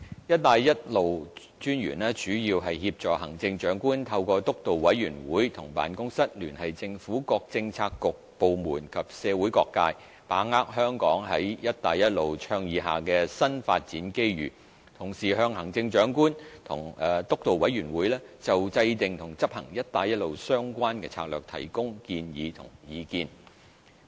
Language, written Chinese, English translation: Cantonese, "一帶一路"專員主要協助行政長官透過督導委員會和辦公室聯繫政府各政策局/部門及社會各界，把握香港在"一帶一路"倡議下的新發展機遇，同時向行政長官和督導委員會就制訂和執行"一帶一路"相關策略提供建議和意見。, President having consulted the Belt and Road Office BRO my reply to the question raised by Mr Jimmy NG is as follows 1 The Steering Committee for the Belt and Road chaired by the Chief Executive and comprising the Chief Secretary for Administration the Financial Secretary the Secretary of Justice the relevant directors of bureaux and the Commissioner for Belt and Road CBR is responsible mainly for formulating strategies and policies for Hong Kongs participation in the Belt and Road Initiative